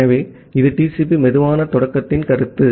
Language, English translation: Tamil, So, that is the notion of TCP slow start